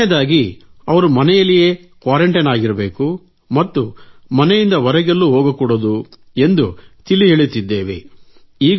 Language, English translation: Kannada, The second thing is, when they are supposed to be in a home quarantine, they are not supposed to leave home at all